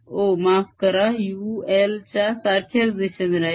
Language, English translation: Marathi, o, sorry, u would be pointing in the same direction as l